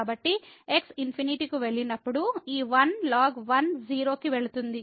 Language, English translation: Telugu, So, when goes to infinity so, this 1 goes to 0